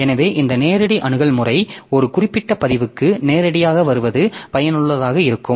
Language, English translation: Tamil, So, this direct access method so it can be useful to come to a particular record directly